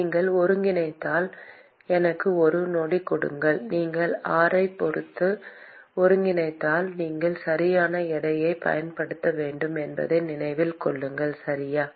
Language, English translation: Tamil, If you integrate just give me a second if you integrate with respect to r, so keep in mind that you have to use the correct weights, okay